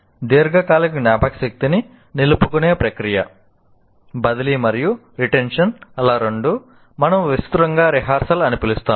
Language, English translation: Telugu, Now we talk about the process of retaining in the long term memory, both transfer as well as retention, what we broadly call rehearsal